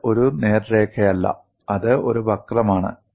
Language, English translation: Malayalam, It is not a straight line; it is a curve; this is a curve